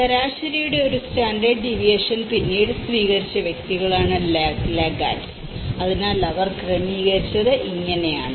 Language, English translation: Malayalam, And the laggards are those individuals who adopted later than one standard deviation of the mean so, this is how they configured